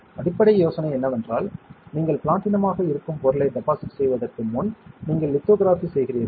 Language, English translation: Tamil, The basic idea is that before you deposit the material that is platinum itself you do lithography